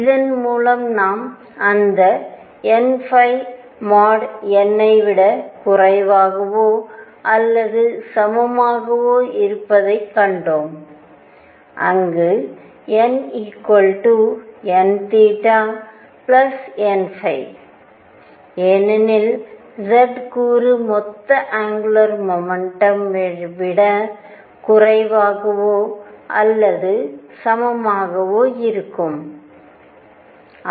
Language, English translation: Tamil, Through this we also found that mod of n phi was less than or equal to n, where n is equal to n plus n theta plus mod n phi, because z component has to be less than or equal to the total angular momentum